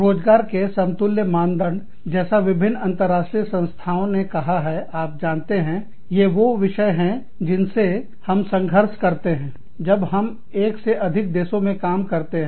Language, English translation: Hindi, Equivalent employment standards, as stated by various international organizations are, you know, these are some of the issues, that we struggle with, when we operate in, more than one country